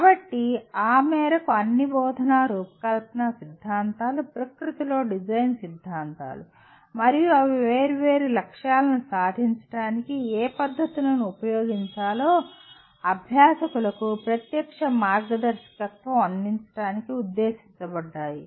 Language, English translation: Telugu, So to that extent all instruction design theories are design theories in nature and they are intended to provide direct guidance to practitioners about what methods to use to attain different goals